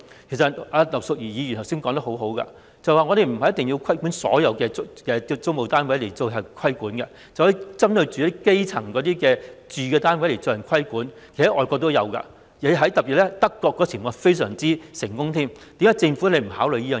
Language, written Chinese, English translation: Cantonese, 其實葉劉淑儀議員剛才說得很好，我們不一定要規管所有租務單位，可以只針對基層市民的住宅單位加以規管，而外國其實亦有這種情況，特別是德國的做法非常成功，政府為何不考慮這個方案？, Mrs Regina IP has in fact made a very good point earlier that is we may not necessarily impose regulation on all rental flats . Instead we can only focus on residential flats for the grass roots . This is also the case in overseas countries among which the practice adopted by Germany is very successful in particular